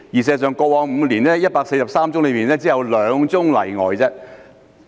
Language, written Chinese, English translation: Cantonese, 事實上，過往5年，在143宗案件中只有2宗例外。, In fact in the past five years there have been only two exceptions out of 143 cases